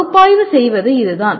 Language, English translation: Tamil, That is what strictly analyze is